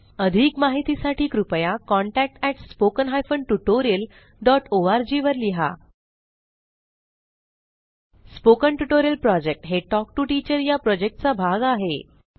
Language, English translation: Marathi, For more details, please write to:contact@spoken tutorial.org Spoken Tutorial Project is a part of the Talk to a Teacher project